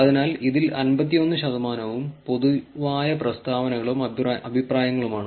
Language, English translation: Malayalam, So, 51 of this percent of these were general comments and opinions